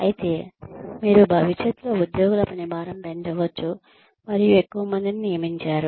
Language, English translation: Telugu, But then, you could may be, increase the workload of, further of employees in future, and not hire so many people